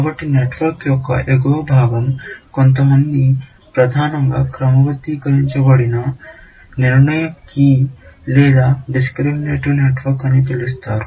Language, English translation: Telugu, So, the top part of the network is what some people called as a mainly sorted, decision key or discriminative network